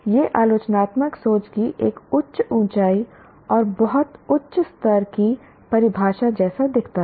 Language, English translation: Hindi, This looks like a fairly high bro and very what you call higher level definition of critical thinking